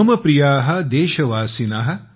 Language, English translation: Marathi, Mam Priya: Deshvasin: